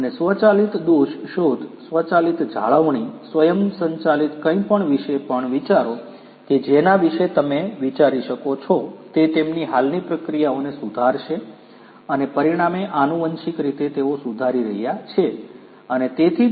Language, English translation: Gujarati, And, also think about automated fault detection, automated maintenance, automated anything that you can think about that is going to improve their existing processes and consequently monetarily they are going to be improved and that is why they are going to strive towards the adoption of industry 4